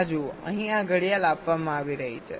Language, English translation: Gujarati, see this: this clock is being fed here